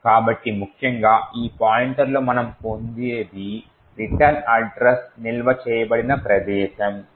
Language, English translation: Telugu, So, essentially at this particular point what we obtain is that return points to where the return address is stored